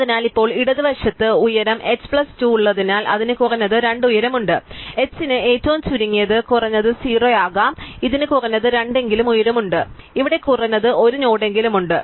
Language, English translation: Malayalam, So, now since the left has height h plus 2, it has height at least 2, h can be at most at least smallest h can be 0, so it has height at least 2, so there at least 1 node here